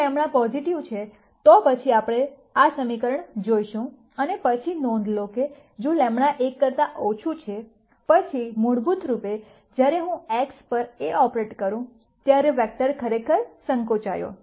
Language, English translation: Gujarati, If lambda is positive, then we see this equation and then notice that if lambda is less than 1, then basically when I operate A on x the vector actually shrinks